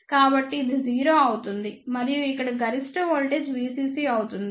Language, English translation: Telugu, So, this will be 0 and maximum voltage over here will be V CC